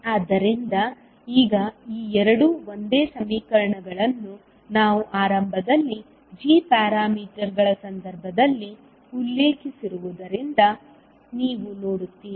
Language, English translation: Kannada, So now, you will see that these two are the same equations which we initially mentioned in case of g parameters